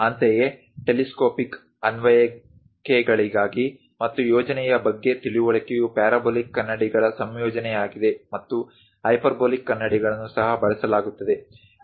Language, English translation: Kannada, Similarly, for telescopic applications and understanding about plan is a combination of parabolic mirrors and also hyperbolic mirrors will be used